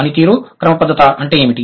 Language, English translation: Telugu, What is the performance regularity